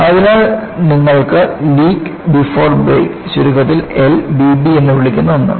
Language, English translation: Malayalam, So, you have, what is known as Leak Before Break, which is abbreviated as L B B